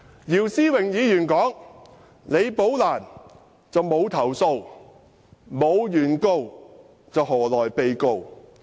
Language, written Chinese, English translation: Cantonese, 姚思榮議員說，李寶蘭沒有投訴，沒有原告，又何來被告？, According to Mr YIU Si - wing Rebecca LI has not lodged a complaint how can there be a defendant when there is no plaintiff?